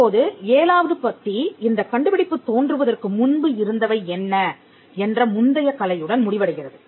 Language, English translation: Tamil, Now, para 7 ends with the state of the prior art, what is that existed before this invention came into being